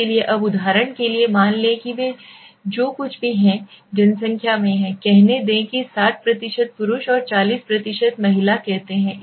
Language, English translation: Hindi, So now for example let say they are in the population of whatever, let say there are 60% male and 40 % female let us say